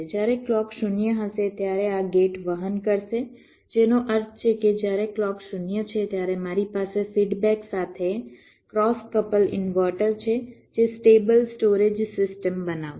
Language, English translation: Gujarati, when clock will be zero, then this gate will be conducting, which means when clock is zero, i have a cross couple inverter with feedback that will constitute a stable storage system